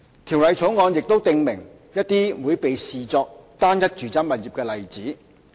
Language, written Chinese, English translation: Cantonese, 《條例草案》亦訂明一些會被視作單一住宅物業的例子。, The Bill has also set out some common examples which are considered to be a single residential property